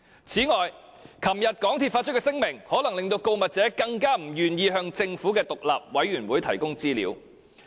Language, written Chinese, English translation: Cantonese, 此外，港鐵公司昨天發出的聲明，可能令告密者更不願意向政府的獨立調查委員會提供資料。, In addition the statement issued by MTRCL yesterday may render the whistle - blower even more unwilling to divulge information to the Governments independent Commission of Inquiry